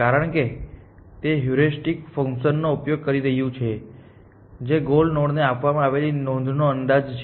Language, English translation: Gujarati, Because, it is using the heuristic function which is an estimate of given note to the goal essentially